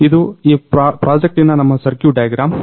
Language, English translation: Kannada, So, this is our circuit diagram circuit of this project